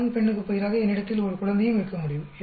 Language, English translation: Tamil, Instead of male female I could also have an infant